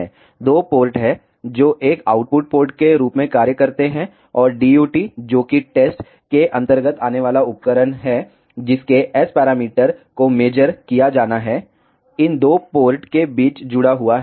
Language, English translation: Hindi, There are 2 ports, which can act as in an out ports and the DUT, which is device under test whose S parameters are to be measured is connected in between these 2 ports